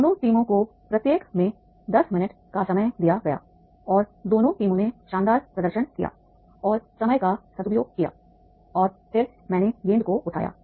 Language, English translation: Hindi, For the both the teams, they were given the 10 minutes each and then both the teams have done their job wonderfully and utilize the time and then have picked up the balls